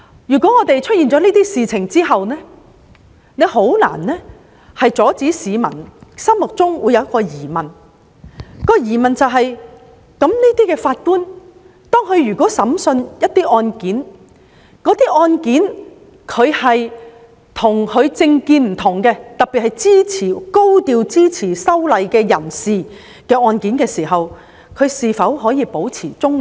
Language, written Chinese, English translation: Cantonese, 在發生這些事情後，確實難以阻止市民產生疑問，就是當這些法官審理一些涉及跟他們的政見不同，特別是高調支持修例的人士的案件時，是否可以保持中立？, After these incidents it is indeed difficult to stop people querying whether these Judges will remain independent when adjudicating cases which involve people with political views different from theirs particularly those who have supported the amendment exercise in a high - profile manner